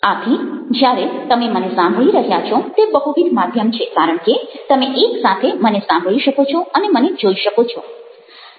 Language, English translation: Gujarati, so when you are listening to me, you have multimedia because you are able to listen to me and, ah, you are able to see me